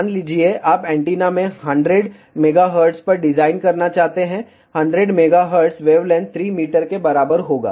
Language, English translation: Hindi, So, let us say you want to design antenna, let say at 3 gigahertz of wavelength will be 10 centimeter